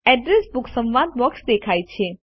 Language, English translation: Gujarati, The Address Book dialog box appears